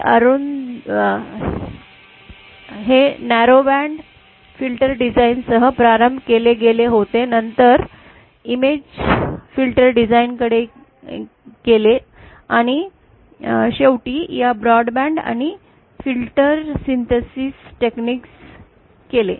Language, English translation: Marathi, It was started with narrow band filter design then moved on to image filter design and finally to these broad band and filter synthesis technique